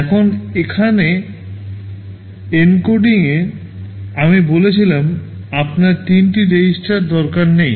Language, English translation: Bengali, Now, here in the encoding I said you do not need three registers